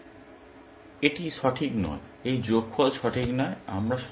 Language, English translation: Bengali, So, this is not correct; this sum is not correct